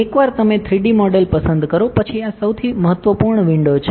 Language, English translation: Gujarati, Once you select 3D model, this is the most important window